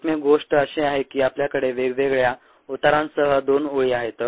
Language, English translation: Marathi, only thing is that we have two lines with different slopes